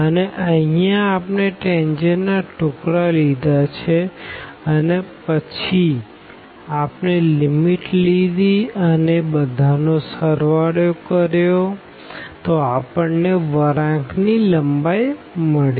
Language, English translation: Gujarati, And, and here we have taken the pieces of the tangent and then we have added them after taking the limit we got the curve length